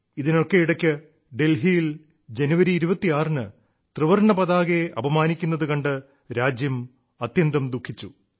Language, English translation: Malayalam, Amidst all this, the country was saddened by the insult to the Tricolor on the 26th of January in Delhi